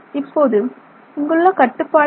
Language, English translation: Tamil, Now, what are some limits here